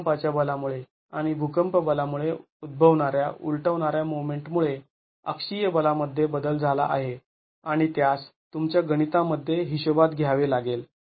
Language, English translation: Marathi, There is a change in the axial force due to the earthquake force and the overturning moment caused by the earthquake force and that has to be accounted for in your calculations